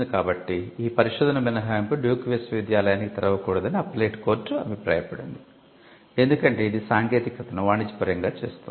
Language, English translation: Telugu, So, the appellate court held that the research exception would not be open to Duke University because, of the fact that it commercializes the technology